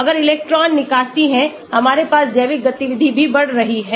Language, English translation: Hindi, If the electron with drawing, we have the biological activity also going up